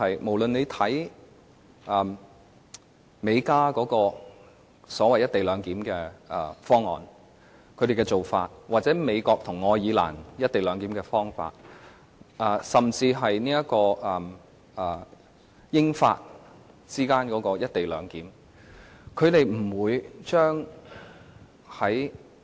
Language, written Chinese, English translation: Cantonese, 無論看美國和加拿大的所謂"一地兩檢"方案和做法，或美國和愛爾蘭的"一地兩檢"方法，甚至英國和法國之間的"一地兩檢"方法均不是這樣的。, When we look at the co - location arrangement between the United States and Canada between the United States and Ireland or even between the Britain and France we can see they are all dissimilar to ours